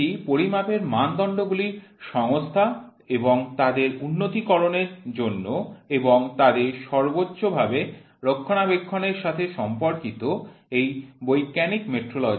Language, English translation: Bengali, It deals with the organization and development of measurement standards and with their maintenance at the highest level is scientific metrology